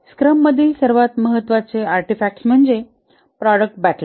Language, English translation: Marathi, One of the most important artifact in the scrum is the product backlog